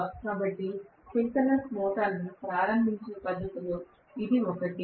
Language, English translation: Telugu, So this is one of the methods of starting the synchronous motor